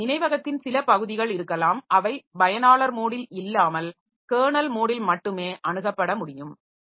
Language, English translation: Tamil, So, there may be certain portion of memory so which can be accessed only in the kernel mode not in the user mode